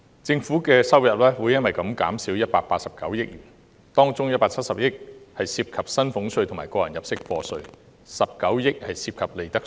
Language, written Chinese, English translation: Cantonese, 政府收入將因而減少189億元，當中170億元涉及薪俸稅和個人入息課稅 ，19 億元涉及利得稅。, As a result government revenue will be reduced by 18.9 billion of which 17 billion is related to salaries tax and tax under personal assessment and 1.9 billion is related to profits tax